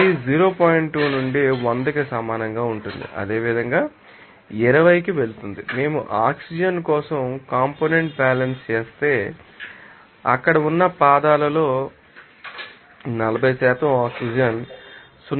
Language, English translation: Telugu, 2 into 100 that will go to 20 similarly, if we do the component balance for oxygen then you can see that 40% of oxygen in the feet there in 0